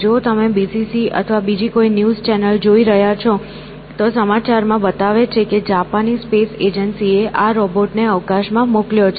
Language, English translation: Gujarati, If you are watching some news channel, well, but may be BBC or something else, the Japanese space agency has sent this robot into space